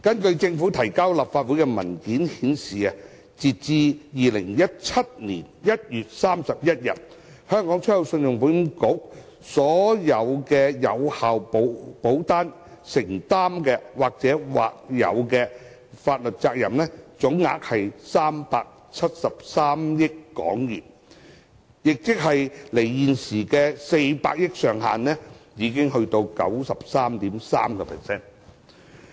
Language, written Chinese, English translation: Cantonese, 政府提交立法會的文件顯示，截至2017年1月31日，信保局所有有效保單承擔的或有法律責任總額約為373億港元，亦即為現時400億元上限的 93.3%。, As indicated by the Administrations paper submitted to the Council as at 31 January 2017 the contingent liability of all valid policies amounted to about 37.3 billion representing 93.3 % of the current cap of 40 billion